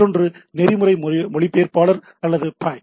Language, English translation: Tamil, Another what we say protocol interpreter or pi, right